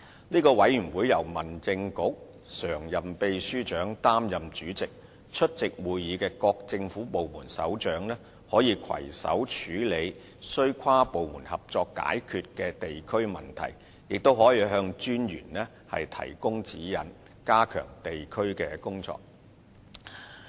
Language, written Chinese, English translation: Cantonese, 這個委員會由民政事務局常任秘書長擔任主席，出席會議的各政府部門首長，可攜手處理須跨部門合作解決的地區問題，也可向民政事務專員提供指引，加強地區工作。, This Committee is chaired by the Permanent Secretary for Home Affairs . Heads of various government departments attending the meetings may join hands in addressing local problems that require inter - departmental cooperation and may offer guidelines to District Officers on enhancing district work